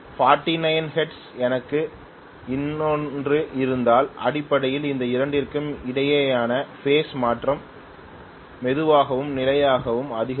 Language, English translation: Tamil, If I have another one at 49 hertz I will have basically the phase shift between these two slowly and steadily increasing, I hope you understand